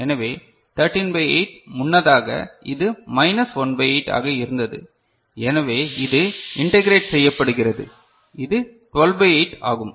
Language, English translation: Tamil, So, 13 by 8 earlier it was minus 1 by 8 so, it is getting integrated so, it is 12 by 8